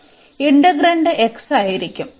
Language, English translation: Malayalam, So, our integrand is going to be x now